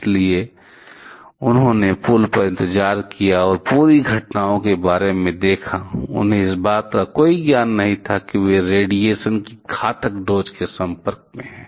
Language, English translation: Hindi, So, they waited on the bridge and saw the entire incidents about, they did not have any knowledge that they are getting greatly exposed to very high doses of radiation